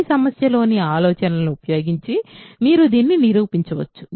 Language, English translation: Telugu, Using the ideas in this problem, you can prove this